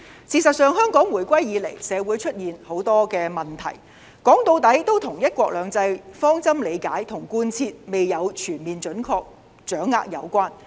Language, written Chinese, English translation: Cantonese, 事實上，香港回歸以來社會出現很多的問題，說到底，都與"一國兩制"的方針理解和貫徹未有全面準確掌握有關。, In fact many problems have cropped up in society since the reunification of Hong Kong to China which are in essence related to the lack of a comprehensive and accurate understanding of the one country two systems principle and its implementation